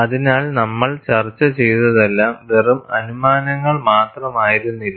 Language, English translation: Malayalam, So, whatever we have discussed, was not just a conjecture